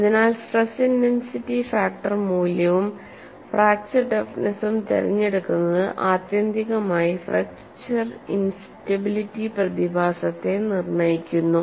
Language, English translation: Malayalam, So, the combination of stress intensity factor value, and the selection of fracture toughness ultimately dictates the fracture instability phenomenon